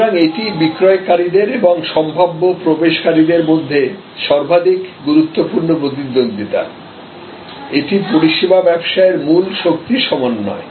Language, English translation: Bengali, So, this is the most important rivalry among sellers and potential entrants, this is a key force combination in service business